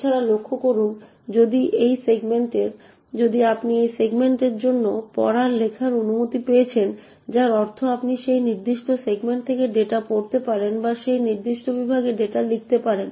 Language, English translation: Bengali, Also notice that you have read write permission for this segment which means that you could read the data from that particular segment or write data to that particular segment